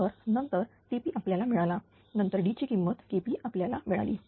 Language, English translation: Marathi, So, then Tp we got then D value we got K p we got, right